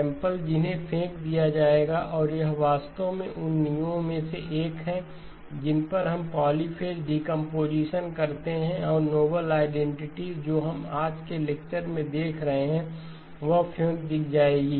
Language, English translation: Hindi, Samples that will be thrown away and this actually turns out to be one of the foundations on which we do polyphase decomposition and the noble identities which we will be looking at in today's lecture, that will be thrown away